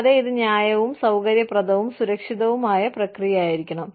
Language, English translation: Malayalam, And, this should be a fair, and comfortable, and safe process